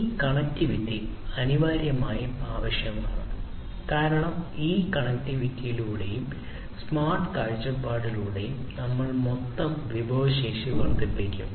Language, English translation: Malayalam, So, this connectivity is essentially going to be required because through this connectivity and smart perspective; we are going to increase the overall resource efficiency